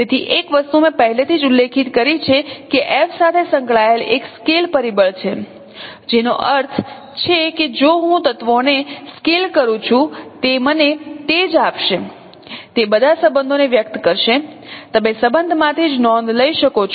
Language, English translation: Gujarati, So, one thing I already mentioned that there is a scale factor associated with F, which means if I scale the elements still it will give me the same, it will express all those relationships